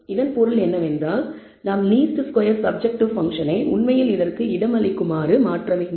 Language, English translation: Tamil, Which means we have to modify the a least square subjective function to actually accommodate this